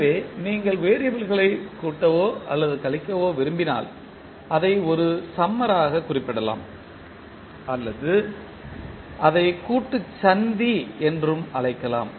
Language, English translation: Tamil, So, when you want to add or subtract the variables you represent them by a summer or you can also call it as summing junction